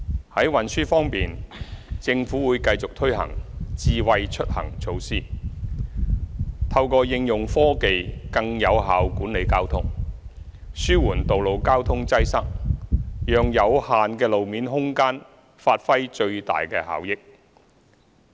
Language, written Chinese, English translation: Cantonese, 在運輸方面，政府會繼續推行"智慧出行"措施，透過應用科技更有效管理交通，紓緩道路交通擠塞，讓有限的路面空間發揮最大效益。, On the transport front the Government will continue to implement Smart Mobility initiatives . Through the application of technology we will achieve more effective traffic management relieve traffic congestion and maximize the efficiency of limited road space